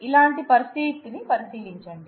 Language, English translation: Telugu, Consider a situation like this